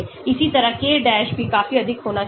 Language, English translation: Hindi, Similarly, the k dash also should be quite high